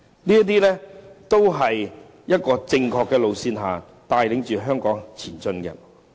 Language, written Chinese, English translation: Cantonese, 這些都是正確的路線，帶領香港前進。, These are the right ways to get Hong Kong going